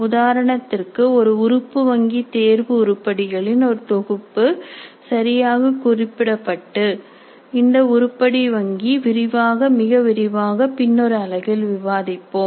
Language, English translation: Tamil, For example, if an item bank, a collection of test items properly tagged, we will discuss this item bank in greater detail in a later unit